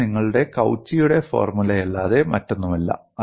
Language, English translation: Malayalam, It is nothing but your Cauchy's formula; as simple as that